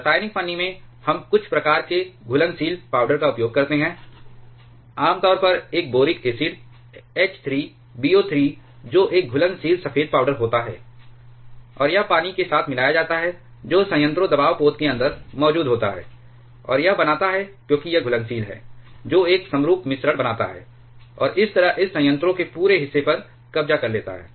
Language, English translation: Hindi, In chemical shim, we use some kind of soluble powder commonly a boric acid, H 3 B O 3 which is a soluble white powder, and it is mixed with the water which is present inside the reactor pressure vessel, and it creates because it is soluble it creates a homogenous mixture and thereby occupies the entire portion of this reactor